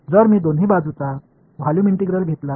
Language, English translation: Marathi, So, if I take a volume integral on both sides